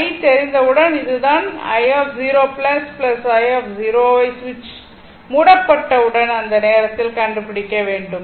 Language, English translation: Tamil, Once i is known, then this i this is the i 0 plus, we have to find out at that time just when switch is just closed i 0